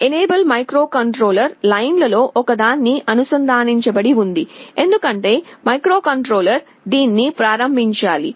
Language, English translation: Telugu, Enable is also connected to one of the microcontroller lines, because microcontroller has to enable it